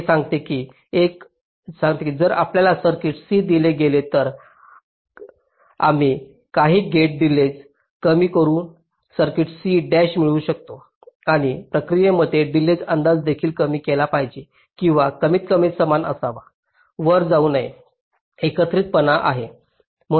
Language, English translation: Marathi, this says that if you are given a circuit c, then we can get an circuit c dash by reducing some gate delays and in the process the delay estimate should also be reduced, or at least be equal, not go up